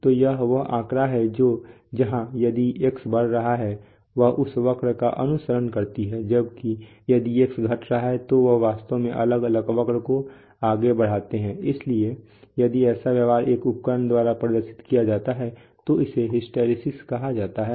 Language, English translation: Hindi, So this is the figure that we are saying that the if X is increasing then the, then the readings that we obtain follow this curve, while if X is decreasing we actually forward distinctly different curve so if such behavior is demonstrated by an instrument it is called, it is said to have hysteresis